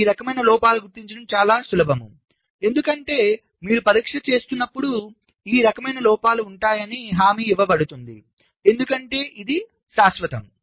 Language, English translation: Telugu, these kind of faults are much easier to detect because when you are carrying out the testing, it is guaranteed that this kind of faults will be present because it is permanent